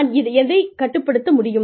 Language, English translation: Tamil, What i can control